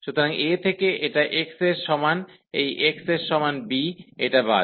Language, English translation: Bengali, So, at this from x is equal to a to this x is equal to b, this is the cut